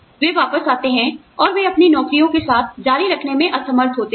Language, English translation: Hindi, They come back, and they are unable to continue, with their jobs